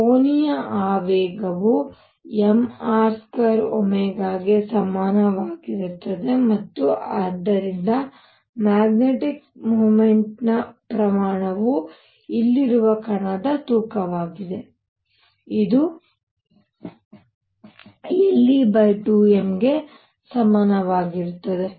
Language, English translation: Kannada, Angular momentum is equal to m R square omega and therefore, magnitude of mu for the magnetic moment m is the mass of the particle here, is equal to l e over 2 m